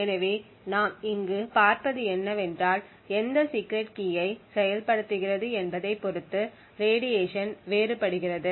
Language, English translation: Tamil, So what we see over here is that the radiation differs depending on what bit of the secret key is being executed